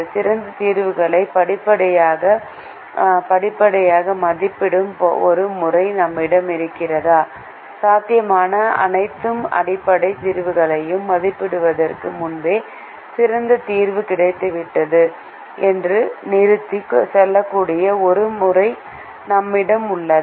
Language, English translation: Tamil, do we have a method that progressively evaluates better solutions and do we have a method that can stop and tell us that the best solution has been obtained even before evaluating all possible basic solutions